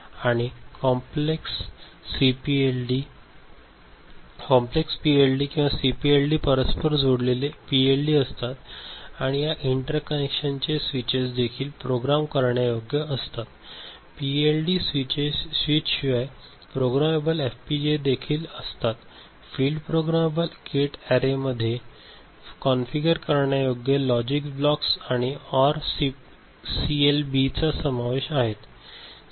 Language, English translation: Marathi, And complex PLD or CPLD consist of interconnected PLDs and switches of these interconnections are also programmable, other than the PLD switches are also programmable FPGA; a field programmable gate array consist of configurable logic blocks and or CLB